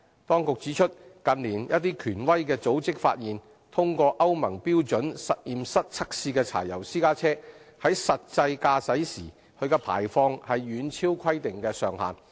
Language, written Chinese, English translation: Cantonese, 當局指出，近年一些權威組織發現，通過歐盟標準實驗室測試的柴油私家車，在實際駕駛時的排放遠超規定上限。, The Administration points out that in recent years some reputable organizations have found that the emissions from diesel private cars which have passed laboratory tests for Euro standards are substantially above the regulated limit in real - world driving